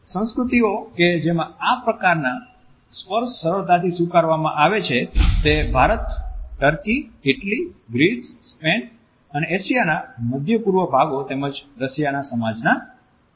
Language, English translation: Gujarati, Cultures in which a touch is easily more accepted are considered to be the Indian society, the societies in turkey France Italy Greece Spain the Middle East parts of Asia as well as Russia